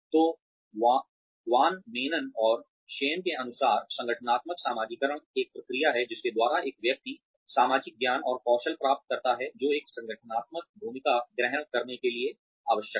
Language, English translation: Hindi, So, according to Van Maanen and Schein, the organizational socialization is a process by which, an individual acquires the social knowledge and skills, necessary to assume an organizational role